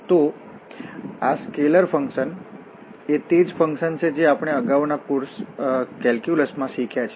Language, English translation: Gujarati, So, these scalar functions are the functions which we have learned in calculus in previous course